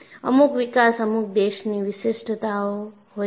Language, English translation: Gujarati, And certain developments are country specific